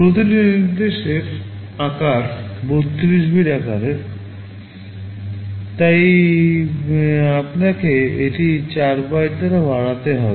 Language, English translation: Bengali, Each instruction is of size 32 bits, so you will have to increase it by 4 bytes